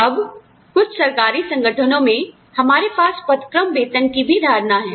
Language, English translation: Hindi, Now, in some government organizations, we also have the concept of grade pay